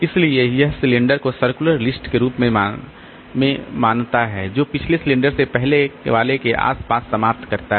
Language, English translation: Hindi, So, it treats cylinders as circular list that wraps around from the last cylinder to the first one